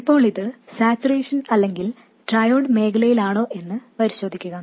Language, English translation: Malayalam, Now just check whether it is in saturation or in triode region